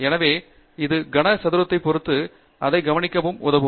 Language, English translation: Tamil, So, it depends on the cube root, note it down, observation